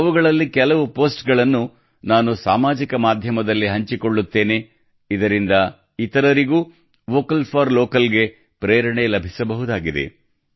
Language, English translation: Kannada, I will share some of those posts on Social Media so that other people can also be inspired to be 'Vocal for Local'